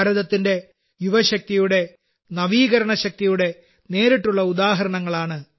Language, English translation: Malayalam, This too, is a direct example of India's youth power; India's innovative power